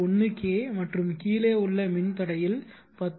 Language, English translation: Tamil, 1 K in this case the lower resistor is 10